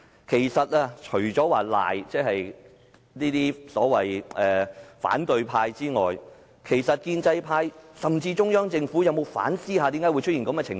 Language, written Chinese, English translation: Cantonese, 其實，除了指責所謂的反對派外，建制派甚至中央政府有否反思為甚麼會出現這種情況？, In fact apart from condemning the so - called opposition Members have the pro - establishment Members or even the Central Government considered why such a phenomenon has arisen?